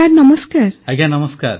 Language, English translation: Odia, Namaskar, Respected Prime Minister